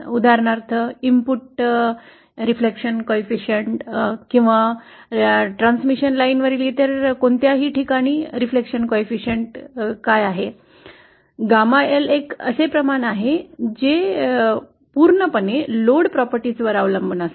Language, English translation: Marathi, For example, what is the input reflection coefficient or what is the reflection coefficient at any other point along the transmission line, gamma L is a quantity that depends purely on the load property